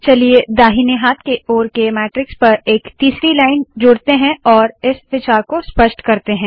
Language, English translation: Hindi, Let us add a third line to the matrix on the right hand side and illustrate this idea